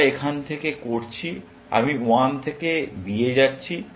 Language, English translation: Bengali, We are doing from; i going from 1 to b